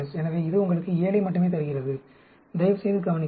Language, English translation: Tamil, So, it gives you only 7, please note